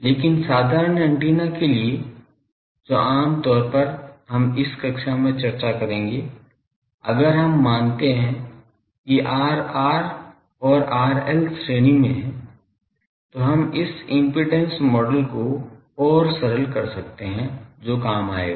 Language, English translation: Hindi, But for simple antennas which will be generally discussing in this class, if we assume that R r and R l are in series, then we can further simplify this impedance model that will go